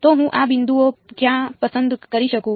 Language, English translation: Gujarati, So, where can I choose these points